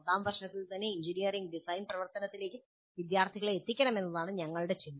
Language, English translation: Malayalam, So the thinking has been that we should expose the students to the engineering design activity right in first year